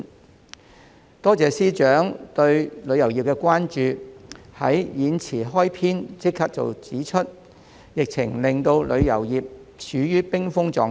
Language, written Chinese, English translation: Cantonese, 我多謝財政司司長對旅遊業的關注，在演辭開篇便指出疫情令旅遊業處於冰封狀態。, I thank the Financial Secretary FS for the attention paid to the tourism industry by pointing out right at the beginning of his speech that tourism was brought to a frozen state by the epidemic